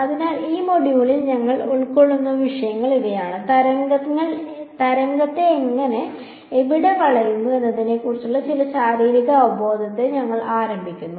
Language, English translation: Malayalam, So, these are the topics that we will cover in this module, we’ll start with some physical intuition about how and where wave seem to bend that such the motivation